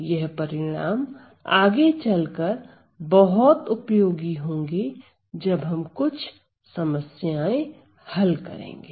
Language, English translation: Hindi, So, then so, these results will be quite useful later on when we do some problems